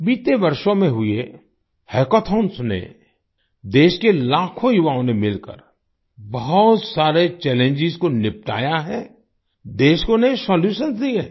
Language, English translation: Hindi, A hackathon held in recent years, with lakhs of youth of the country, together have solved many challenges; have given new solutions to the country